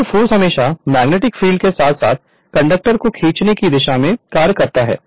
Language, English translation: Hindi, And the force always act in a direction to drag the conductor you are along with the magnetic field